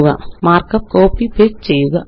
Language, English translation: Malayalam, I will copy and paste them